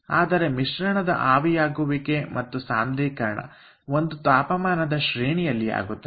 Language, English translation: Kannada, so ah, a boiling and condensation of mixture that takes place over a range of temperature